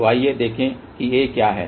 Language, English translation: Hindi, So, let us see what is A